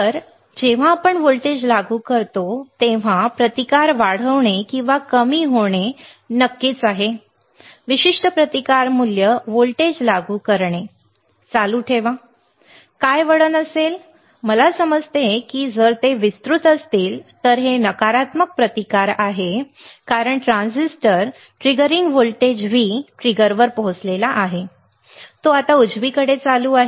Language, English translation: Marathi, Because when you apply a voltage when you apply a voltage right the resistance should increase or decrease yes of course, particular resistance value right keep on applying voltage what will be the curve of I understand that if they are wide, this is negative resistance because after the transistor has reached the triggering voltage the V trigger, it is now turn on right the transistor is turned on after a while if the applied voltage still increases to the emitter load or lead it will pick out the voltage V peak it will reach here, right